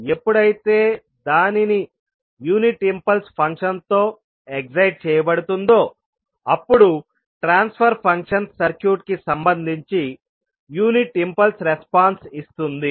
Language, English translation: Telugu, So, when it is excited by a unit impulse function, the transfer function will give you the unit impulse response of the circuit